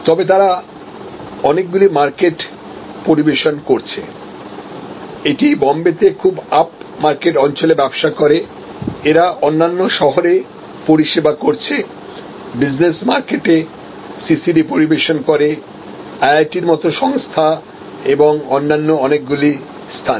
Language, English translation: Bengali, So, but this served many markets, this serve very up market in Bombay, this serve business market in other cities, CCD serves, institutions like IIT’s and many other locations